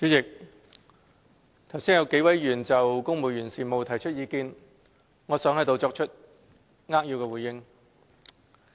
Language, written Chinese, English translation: Cantonese, 代理主席，剛才有幾位議員就公務員事務提出意見，我想作出扼要回應。, Deputy President I would like to make a brief response to the views expressed just now by several Honourable Members on civil service affairs